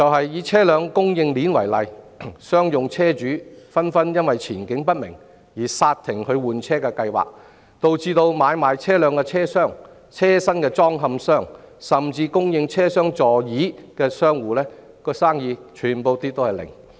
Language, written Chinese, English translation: Cantonese, 以車輛供應鏈為例，商用車主紛紛因前景不明而剎停換車計劃，導致買賣車輛的車商、車身裝嵌商以至供應車廂座椅的商戶全部零生意。, Take the vehicle supply chain as an example . As commercial vehicle owners slam the brakes on vehicle replacement plans in view of uncertain economic outlook vehicle dealers coach builders and even suppliers of automotive seats are all doing no business